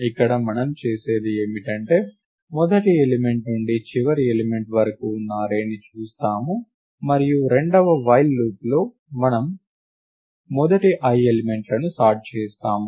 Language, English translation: Telugu, Here what we do is we look at the array from the first element to the last element, and in the second while loop we sort the first i elements